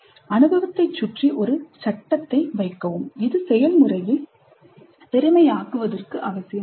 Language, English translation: Tamil, So you put a frame around the experience and that is necessary to make the process efficient